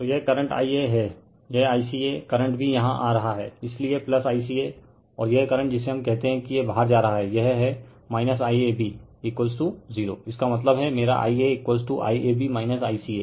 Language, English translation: Hindi, So, this current is I a, this I ca current it also coming here, so plus I ca and this current is your what we call it is leaving, so it is minus I ab is equal to 0; that means, my I a is equal to I ab minus I ca right